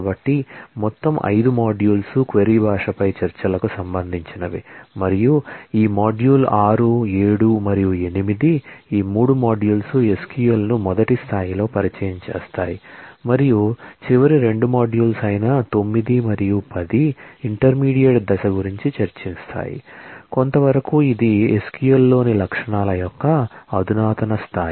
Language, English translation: Telugu, So, all the 5 modules will relate to discussions on query language and this module 6 7 and 8, the 3 modules will introduce SQL at a first level and the last 2 modules 8 and 9, I am sorry 9 and 10 will discuss about intermediate, that is somewhat advanced level of features in the SQL